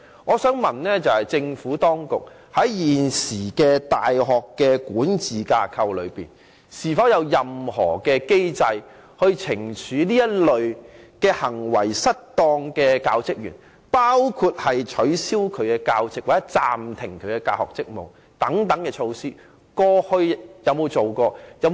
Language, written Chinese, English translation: Cantonese, 我想詢問政府當局，在現時大學的管治架構內，是否有任何機制懲處這類行為失當的教職員，包括取消該教職員的教席或暫停他的大學職務等？, May I ask the Administration Under the existing university management framework is there any mechanism to sanction academic staff for misconduct including dismissal or suspension?